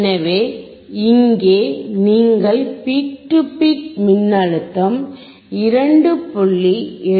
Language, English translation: Tamil, So, here you can see the peak to peak voltage is 2